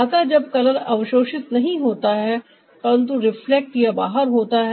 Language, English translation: Hindi, so this is a when the color is not getting absorbed but getting reflected or released